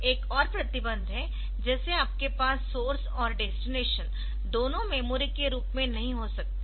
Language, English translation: Hindi, There is another restriction like you cannot have both source and destination as memory